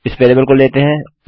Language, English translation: Hindi, Taking this variable into account